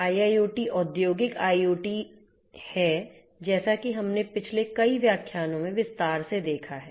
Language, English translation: Hindi, So, IIoT is Industrial IoT as we have seen this in detail in the last several lectures